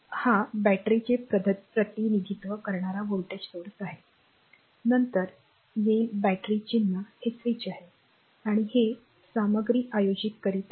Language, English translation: Marathi, So, this is a voltage source representing says battery this symbol will come later battery symbol will come later this is the switch and this is conducting material